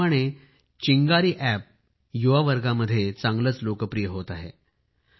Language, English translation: Marathi, Similarly,Chingari App too is getting popular among the youth